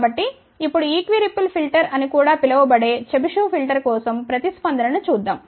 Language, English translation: Telugu, So, now let see the response for Chebyshev filter which is also known as equi ripple filter